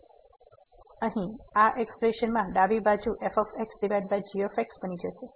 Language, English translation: Gujarati, So, this here with this expression left hand side will become over